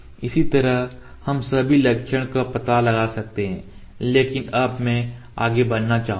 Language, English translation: Hindi, Similarly we can locate all the features, but now I would like to move forward